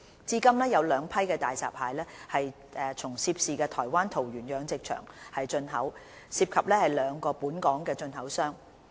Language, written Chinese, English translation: Cantonese, 至今有兩批大閘蟹從涉事台灣桃園養殖場進口，涉及兩個本港進口商。, Two batches of hairy crabs were imported from the aquaculture farm in Taoyuan Taiwan concerned by two local importers so far